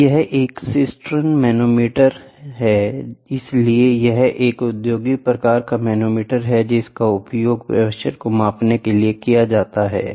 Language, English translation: Hindi, This is a Cisterns manometer so, this is also it is an industrial type manometer used to measure the pressure